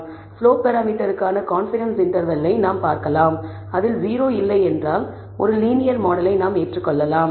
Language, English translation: Tamil, We can look at the confidence interval for the slope parameter and if that does not include 0, then maybe we can accept a linear model